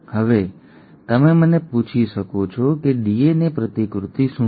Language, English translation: Gujarati, Now, you may ask me what is DNA replication